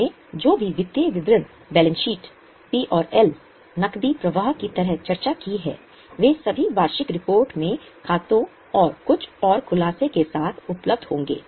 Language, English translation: Hindi, We have the financial statements discussed like balance sheet, PNH is cash flow, they will all be available in the annual reports along with notes to accounts and some more disclosures